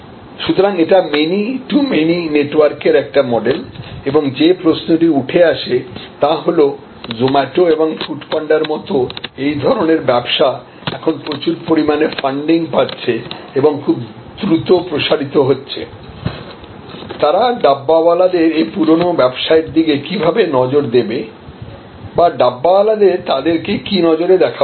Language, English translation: Bengali, So, it is a model of many to many network and the question that comes up is that, this kind of business like Zomato and Food Panda now heavily funded, expanding rapidly, how will they look at this age old business of the Dabbawalas or how should the Dabbawalas look at them